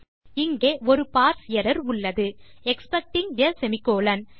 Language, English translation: Tamil, We have got a parse error here expecting a semicolon